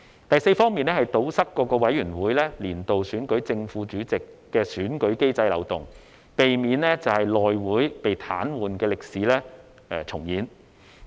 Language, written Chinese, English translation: Cantonese, 第四方面，是堵塞各委員會年度選舉正副主席的選舉機制漏洞，避免內會被癱瘓的歷史重現。, The fourth aspect is about plugging the loophole in the election of the Chairman and Deputy Chairman of committees each year so as to prevent the recurrence of the incident involving the House Committee being paralysed